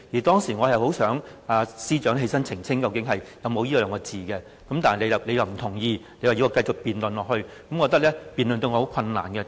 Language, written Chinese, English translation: Cantonese, 當時，我其實很希望司長能站起來澄清究竟有沒有這兩個字，但你不同意，要我繼續辯論下去，我覺得這樣辯論對我很困難，為甚麼？, At that time I really wished the Secretary for Justice could stand up and clarify if this was the case but you did not agree and urged me to go on my speech . I felt difficult to go on without a clarification